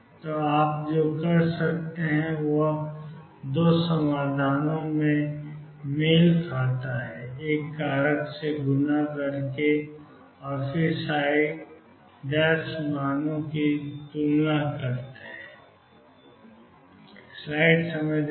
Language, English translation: Hindi, So, what you could do is match the 2 solutions was by multiplying by a factor and then compare the psi prime values